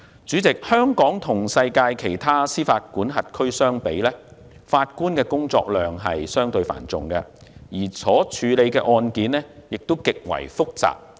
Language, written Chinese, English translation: Cantonese, 主席，香港與世界其他司法管轄區相比，法官的工作量相對繁重，而所處理的案件亦極其複雜。, President when compared with other jurisdictions in the world judges in Hong Kong have a heavier workload and they deal with extremely complicated cases